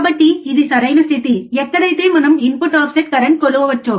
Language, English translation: Telugu, So, this is the perfect condition where we can measure what is the input offset current right